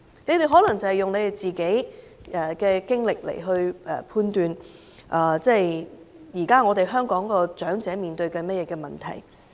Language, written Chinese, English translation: Cantonese, 他們可能是根據自己的經歷，來判斷現時香港長者正在面對的問題。, They might have judged the problems currently faced by the elderly people in Hong Kong from their own experience